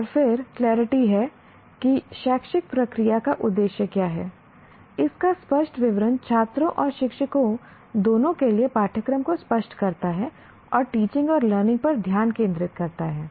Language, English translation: Hindi, An explicit statement of what the educational process aims to achieve clarifies the curriculum to both students and teachers and provide a focus for teaching and learning